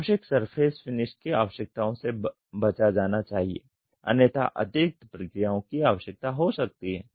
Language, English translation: Hindi, Unnecessary surface finish requirements should be avoided otherwise additional processing may be needed